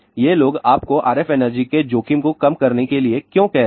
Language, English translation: Hindi, Why these people are telling you to reduce exposure to RF energy